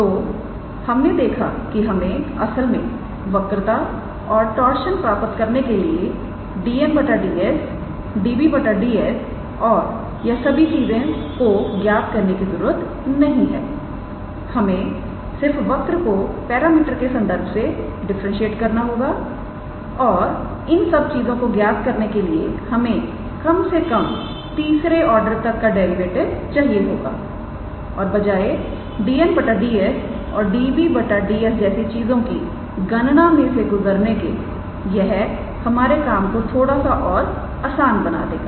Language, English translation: Hindi, So, we saw that we really do not have to calculate dn ds db ds and all those things in order to calculate the curvature and torsion we just have to differentiate the given curve with respect to the parameter and we require derivative at least up to the third order to calculate these things and it just makes our life a little bit easier instead of going through all those the dn ds and db d s calculation